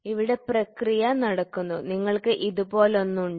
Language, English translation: Malayalam, So, here is the process happening and you have something like this